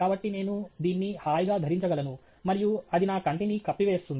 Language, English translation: Telugu, So, I can comfortably wear this and it would cover my eye